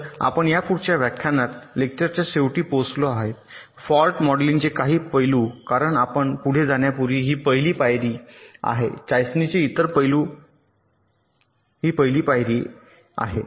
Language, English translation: Marathi, in the next lecture we shall be looking into some aspects of fault modeling, because that is the first step before you can proceed towards the other aspects of testing